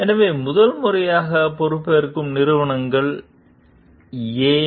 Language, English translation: Tamil, So organizations that took over from the first time, why